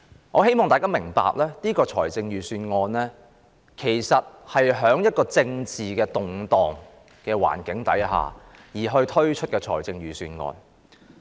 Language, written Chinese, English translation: Cantonese, 我希望大家明白，這份預算案是在政治動盪的環境下推出的。, I hope people will understand that the Budget has been put forward amid political turmoil